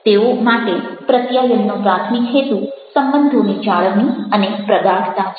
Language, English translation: Gujarati, for them, the primary purpose of communication is the maintenance and advancement of relationship